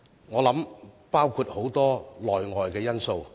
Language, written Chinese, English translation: Cantonese, 我想當中包含很多內外因素。, I think this is attributable to a number of internal and external factors